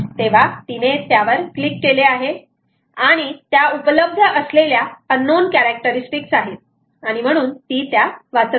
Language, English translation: Marathi, so she clicks on that and then, for that, there is an unknown characteristic that is available and she wants to read that